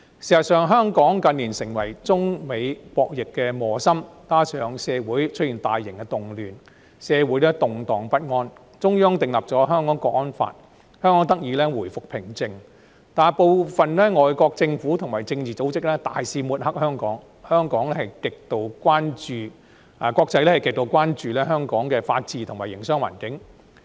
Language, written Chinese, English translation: Cantonese, 事實上，香港近年成為中美博弈的磨心，加上社會出現大型動亂，動盪不安，中央訂立了《香港國安法》，香港才得以回復平靜，但部分外國政府及政治組織大肆抹黑香港，國際社會極度關注香港的法治及營商環境。, In fact in recent years Hong Kong has become piggy in the middle of the Sino - US arm wrestling and for good measure suffered from social turmoil due to the occurrence of large - scale unrest . It was not until the Central Authorities enacted the National Security Law for Hong Kong that calm returned to Hong Kong . However some foreign governments and political organizations have been wantonly smearing Hong Kong and the international community is extremely concerned about the rule of law and the business environment in Hong Kong